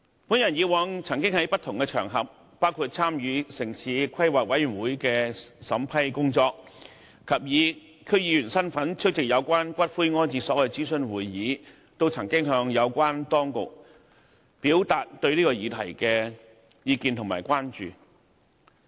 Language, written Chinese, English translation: Cantonese, 我過往曾在不同場合，包括參與城市規劃委員會的審批工作，以及以區議員身份出席有關骨灰安置所諮詢會議，向有關當局表達對此議題的意見和關注。, In the past I had expressed my views and concerns on this issue to the authorities in different capacities including as a member of the Town Planning Board in vetting and approving applications and as a member of the District Council in attending consultative meetings to collect views on columbaria